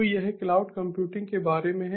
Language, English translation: Hindi, so this is all about cloud computing